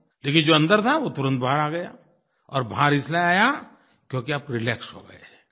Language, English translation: Hindi, What happened was that whatever was inside, came out immediately and the reason was that you were now relaxed